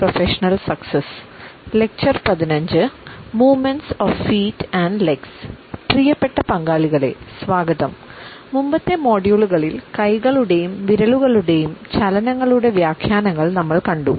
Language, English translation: Malayalam, Welcome dear participants, in the prior modules we have looked at the interpretations of our hands and fingers